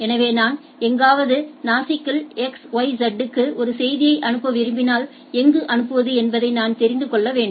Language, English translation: Tamil, So, if I want to send a message to x y z at somewhere Nasik then I need to know that where to send